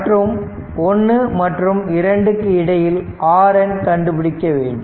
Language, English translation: Tamil, And and you have to find out R N in between your 1 and 2